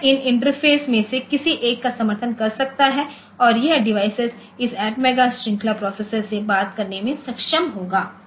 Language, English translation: Hindi, So, it can simply support one of these interfaces and this that device will be able to talk to this atmega series processor